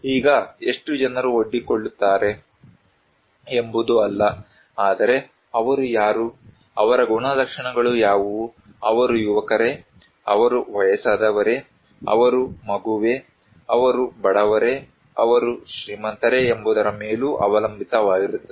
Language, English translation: Kannada, Now, it is not that how many people are exposed, but it also depends that who are they, what are their characteristics, are the young, are they old, are they kid, are they poor, are they rich